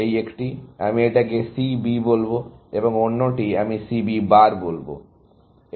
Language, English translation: Bengali, This one, I will call C B, and the other, I will call C B bar